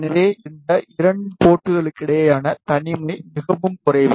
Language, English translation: Tamil, So, the isolation between these 2 ports is very less